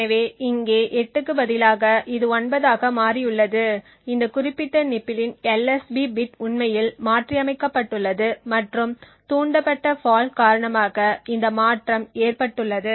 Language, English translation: Tamil, So instead of 8 over here it has become a 9 indicating that the LSB bit of this particular nibble has actually been modified and this modification has occurred due to the fault that has been induced